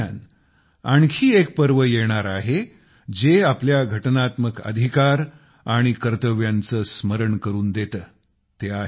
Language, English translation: Marathi, Meanwhile, another festival is arriving which reminds us of our constitutional rights and duties